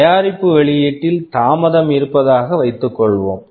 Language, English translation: Tamil, And suppose there is a delay in the product launch